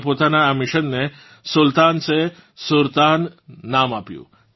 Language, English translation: Gujarati, They named this mission of their 'Sultan se SurTan'